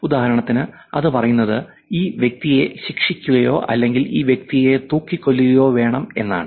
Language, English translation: Malayalam, Like for example it says, need to be punished, need to hang this guy